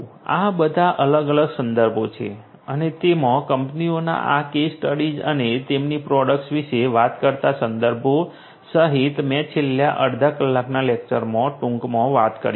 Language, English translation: Gujarati, These are all these different references and including the references talking about these case studies of the companies and their products that I talked about briefly in the last half an hour of lecture